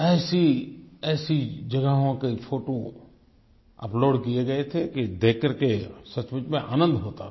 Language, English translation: Hindi, Photos of such magnificent places were uploaded that it was truly a delight to view them